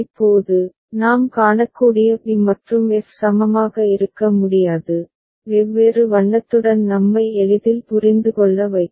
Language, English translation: Tamil, Now, b and f we can see cannot be equivalent, just with different colour to make us understand easily